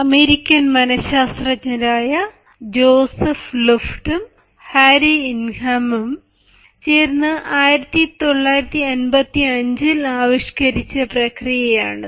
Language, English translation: Malayalam, it is actually a process devised by american psychologists, joseph luft and harry ingham